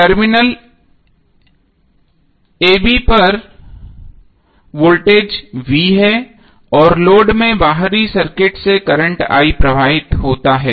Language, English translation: Hindi, So voltage across terminal a b is V and current flowing into the load from the external circuit is current I